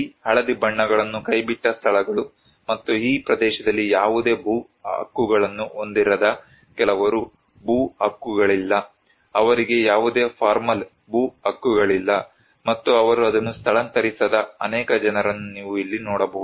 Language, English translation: Kannada, You can see here that these yellow colours are abandoned places and some people who do not have any land rights in this area, no land rights, they do not have any formal land rights and many people they did not relocate it